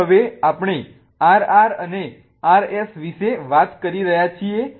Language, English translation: Gujarati, Okay, so now we are talking about RR and R S